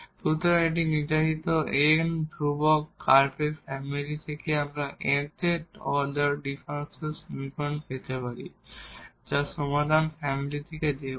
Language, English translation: Bengali, So, the from a given family of curves containing n arbitrary constants we can obtain nth order differential equation whose solution is the given family